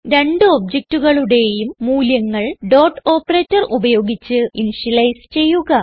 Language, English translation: Malayalam, Then initialize the values of the two objects using dot operator